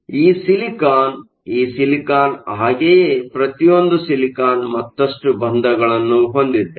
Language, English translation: Kannada, Silicon, silicon, each of the silicon has further bonds